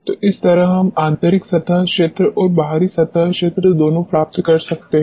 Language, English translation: Hindi, So, this way we can get both internal surface area as well as the external surface area